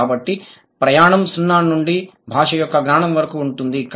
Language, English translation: Telugu, So, the journey is from 0 to the knowledge of a language